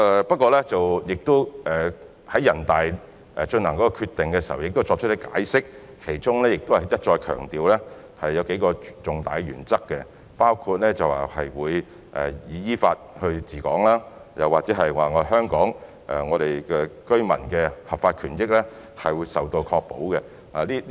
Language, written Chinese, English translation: Cantonese, 不過，全國人大在作出決定時亦有解釋，並一再強調數項重大的原則，包括依法治港及香港居民的合法權益受到保障。, However when NPC made the decision it explained and repeatedly highlighted a few important principles including that Hong Kong shall be administered in accordance with the law and the legal rights of Hong Kong residents shall be protected